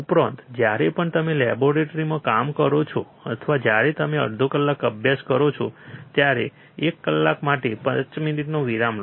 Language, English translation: Gujarati, Also, whenever you work in a laboratory or when you study for half an hour study for one hour take 5 minutes break